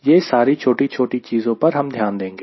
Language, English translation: Hindi, all those minor, minor things will take into consideration